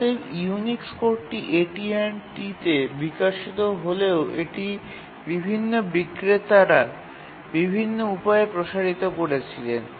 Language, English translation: Bengali, Even though the Unix code was developed at AT&T, it was extended in various ways by different vendors